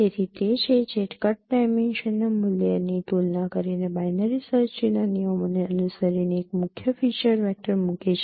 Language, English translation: Gujarati, So that is what places a key feature vector following the rules of binary search tree comparing on the value of the card dimension